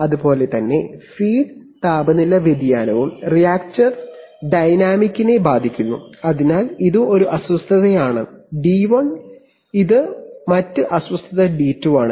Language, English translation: Malayalam, And similarly the feed temperature change also affects the reactor dynamic, so this is one disturbance d1 this is the other disturbance d2